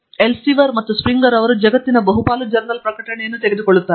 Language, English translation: Kannada, Elsevier and Springer together they take up majority of the journal publications in the world